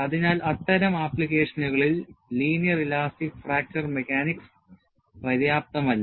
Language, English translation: Malayalam, So, in such applications, linear elastic fracture mechanics would not be sufficient